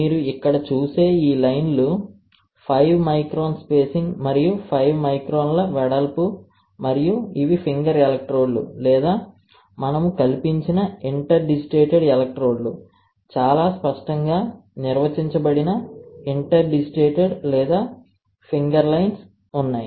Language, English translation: Telugu, This lines that you see here 5 micron spacing and 5 microns width, alright and these are finger electrodes or inter digital electrodes that we have fabricated, very clearly defined interdigitated or finger lines are there